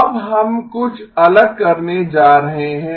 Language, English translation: Hindi, Now we are going to do something slightly different